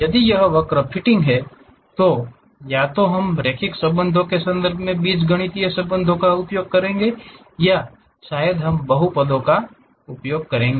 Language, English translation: Hindi, If it is a curve fitting either we will use the algebraic relations in terms of linear relations or perhaps we will be using polynomial functions